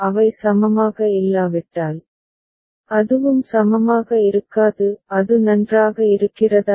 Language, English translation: Tamil, If they are not equivalent, it will not be equivalent by that also; is it fine